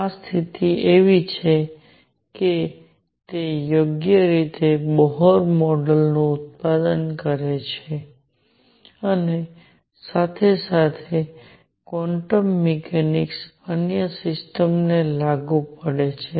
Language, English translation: Gujarati, This condition is such that it correctly it produces Bohr model at the same time makes quantum mechanics applicable to other systems